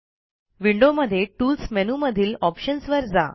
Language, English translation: Marathi, Windows users can click on Tools and then on Options